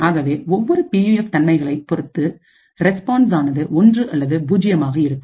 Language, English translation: Tamil, So, depending on the characteristics of each PUF the response would be either 1 or 0